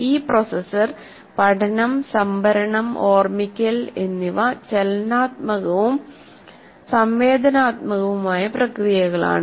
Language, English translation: Malayalam, And these processors, learning, storing and remembering are dynamic and interactive processes